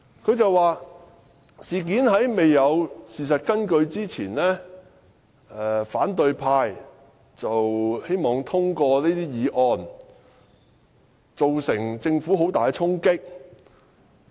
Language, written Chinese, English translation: Cantonese, 她說："事件在未有事實根據之前，反對派希望通過這些議案，對政府造成很大衝擊......, She said and I quote The opposition camp wants to use these motions that are unsubstantiated by facts to seriously harm the Government